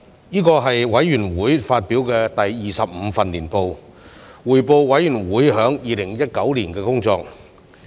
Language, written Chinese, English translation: Cantonese, 這是委員會發表的第二十五份年報，匯報委員會在2019年的工作。, This is the 25 annual report of the Committee which provides an account of our work for the year 2019